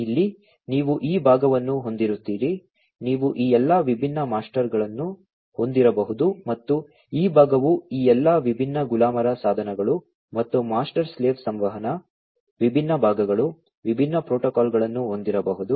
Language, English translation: Kannada, So, here you would be having this part you could be having all these different master and this part you could be having all these different slave devices and master slave communication, different parts, different protocols